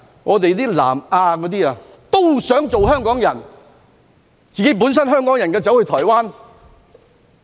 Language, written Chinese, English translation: Cantonese, 有南亞人想做香港人，但香港人卻想前往台灣。, But some Hong Kong people nonetheless want to move to Taiwan